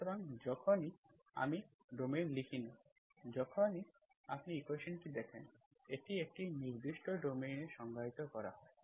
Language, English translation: Bengali, So whenever, I do not write the domain, whenever you see the equation, it is defined on a certain domain